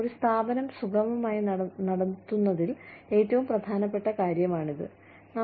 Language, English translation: Malayalam, This is, the single most important thing, in running an organization, smoothly